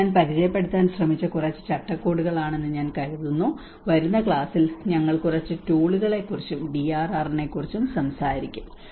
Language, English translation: Malayalam, I think these are a few frameworks I just tried to introduce and in the coming class we will also talk about a few tools and DRR